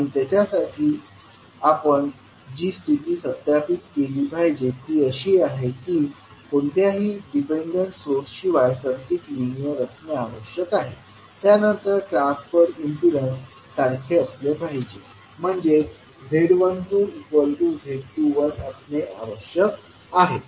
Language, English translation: Marathi, And for that, the condition which we have to verify is that first it has to be linear with no dependent source, then transfer impedances should be same; that is Z12 should be equal to Z21